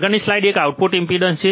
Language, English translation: Gujarati, The next slide is a output impedance